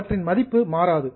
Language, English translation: Tamil, Their value does not change